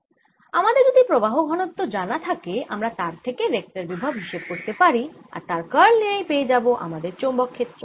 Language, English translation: Bengali, once i know the current density, i can calculate from this the vector potential and taking its curl, i can always get my magnetic field